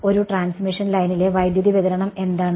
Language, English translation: Malayalam, So, what is the current distribution on a transmission line